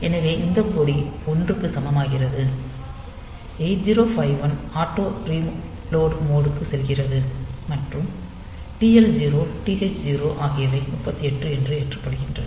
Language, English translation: Tamil, So, this flag becomes equal to 1, and 8051 it goes into auto reload mode and this TL0 and TH0 they are loaded with 38 h